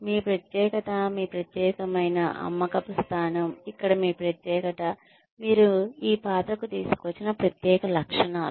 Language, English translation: Telugu, Your uniqueness, your unique selling point is your distinctness here, the special characteristics, you have brought to this role